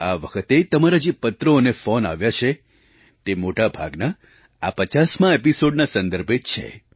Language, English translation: Gujarati, Your letters and phone calls this time pertain mostly to these 50 episodes